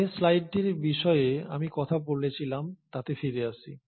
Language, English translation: Bengali, So let’s come back to the slide which I was talking about